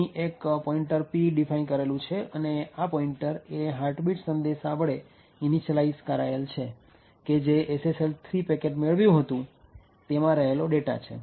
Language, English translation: Gujarati, So, we have here a pointer P which is defined, and this pointer is initialised to the heartbeat message that is the data present in the SSL 3 packet which was obtained